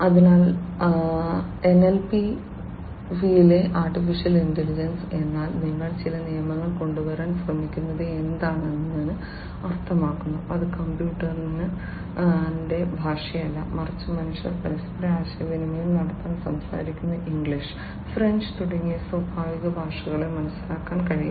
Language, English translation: Malayalam, So, AI in NLP means what that you are trying to come up with some rules, etcetera, which can make the computer understand not the computers language, but the way the natural languages like English, French, etcetera with which with which humans are conversant to communicate with one another